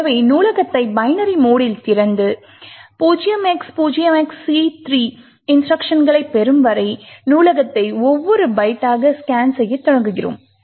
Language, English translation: Tamil, So, we open the library in binary mode and start to scan the library byte by byte until we get c3 instructions